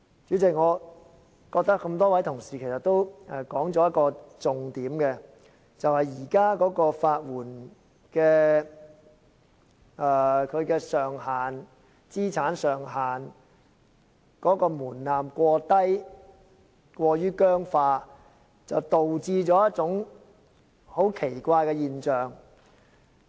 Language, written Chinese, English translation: Cantonese, 主席，我覺得各位同事說出了一個重點，就是現時法援資產上限的門檻過低，制度過於僵化，導致出現一種很奇怪的現象。, President I think the colleagues have all pointed out a very crucial point that the current thresholds of FELs are far too low and the system is too rigid . This results in a very strange phenomenon